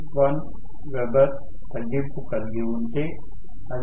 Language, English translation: Telugu, 1 weber it would have become 0